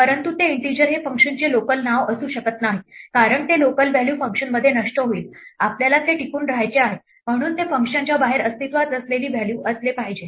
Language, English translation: Marathi, But that integer cannot be a local name to the function because that local value will be destroyed in the function, we want it to persist, so it must be a value which exists outside the function